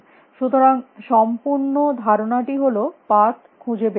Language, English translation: Bengali, So, the whole idea is to search for the path